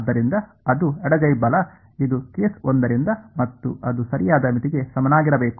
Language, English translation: Kannada, So, that is a left hand side right this is from case 1 and that should be equal to the right limit